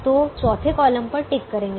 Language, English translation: Hindi, so tick the fourth column